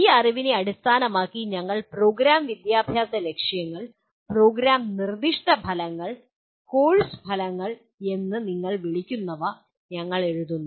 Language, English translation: Malayalam, Then based on this knowledge, we what you call, we write Program Educational Objectives, Program Specific Outcomes and Course Outcomes